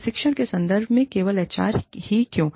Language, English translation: Hindi, In terms of training, why only the HR